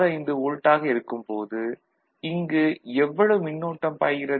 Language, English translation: Tamil, 65 volt, how much current is flowing over here